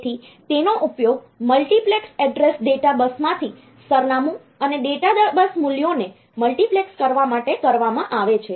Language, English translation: Gujarati, So, this will be used to de multiplex the address and data bus values from the multiplexed address data bus